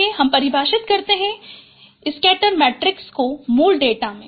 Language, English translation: Hindi, Let us define also scatter matrix of the original data